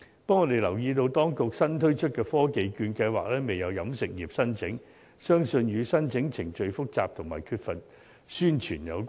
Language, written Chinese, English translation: Cantonese, 不過，我們留意到當局新推出的科技券計劃，仍未有飲食業作出申請，相信與申請程序複雜和缺乏宣傳有關。, However we note that none from the catering industry has applied for the Technology Voucher Programme newly launched by the authorities . I believe the lukewarm response is due to the complicated application procedures and the lack of publicity